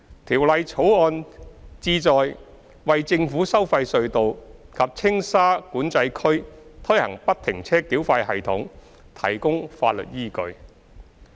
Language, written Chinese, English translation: Cantonese, 《條例草案》旨在為在政府收費隧道及青沙管制區推行不停車繳費系統提供法律依據。, The Bill seeks to provide the legal backing for the implementation of FFTS at the government tolled tunnels and Tsing Sha Control Area TSCA